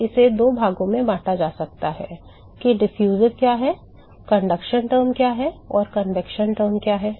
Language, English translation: Hindi, Now this can be split into two parts what is the diffusive yeah what is the conduction term and what is the convection term